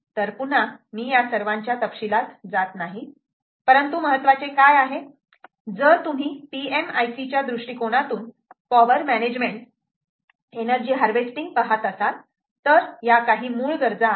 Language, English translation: Marathi, so again, i don't want to get into the details of all of them, but what is important is, if you are looking at energy harvesting, ah, the power management, from a power management i c perspective, these are basically, ah, some basic requirements